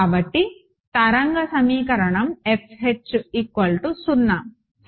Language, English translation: Telugu, So, the wave equation is F H equal to 0 right